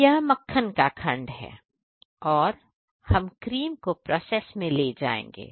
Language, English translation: Hindi, This is our butter section; we will take cream for process section